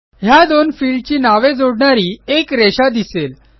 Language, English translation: Marathi, Notice a line connecting these two field names